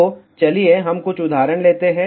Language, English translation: Hindi, So, let us just take some example